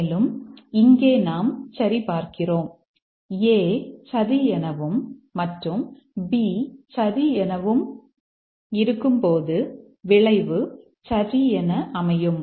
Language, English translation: Tamil, And then we just check here that when A is true and B is true, the outcome is true